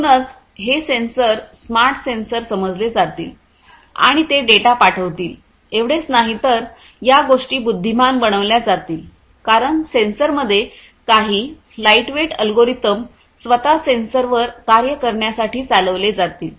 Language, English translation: Marathi, So, not only that these sensors the smart sensors would sense and send, but these would be made intelligent because certain small algorithms lightweight algorithms will be executed in these sensors to do certain tasks at the sensors themselves